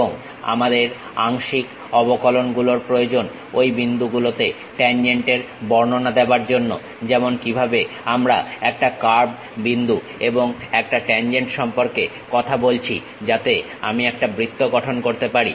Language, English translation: Bengali, And, we require partial derivatives describing tangent at those points like how we talked about a curve point and a tangent so that I can really construct a circle